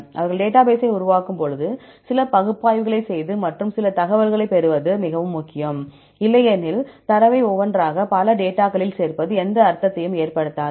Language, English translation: Tamil, And when they make the database, it is very important to do some analysis and to get some information, otherwise adding up the data one by one to many data, it will not make any sense